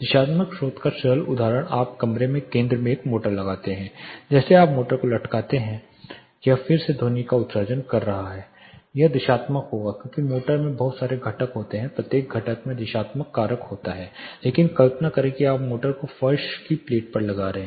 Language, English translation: Hindi, Simple example of directional source you put a motor in the center of the room like this you are suspending the motor it is emitting the sound again it will be directional because motor has lot of components each component has directional factor, but imagine you are fixing the motor on the floor plate